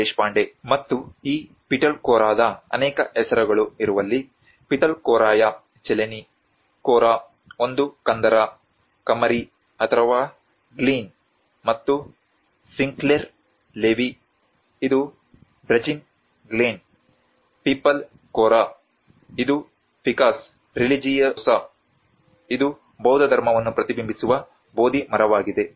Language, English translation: Kannada, Deshpande, and where there has been many names of this Pitalkhora, Pithalkhoraya ChiLeni, Khora, is a ravine, a gorge or a glein and Sinclair Levi which is a Brazen Glein, Pipal Khora which is Ficus religiosa which is a Bodhi tree which reflected the Buddhism